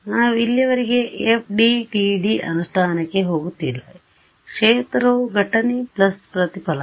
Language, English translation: Kannada, We are not, so far, going into FDTD implementation just total field is incident plus reflected